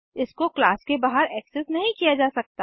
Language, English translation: Hindi, It cannot be accessed outside the class